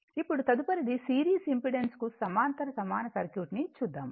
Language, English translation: Telugu, Now, next is that parallel equivalent of a series impedance right